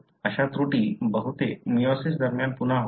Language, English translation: Marathi, Most of such errors happen again during meiosis